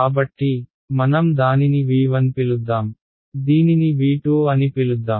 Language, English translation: Telugu, So, let us call this V 1 let us call this V 2 ok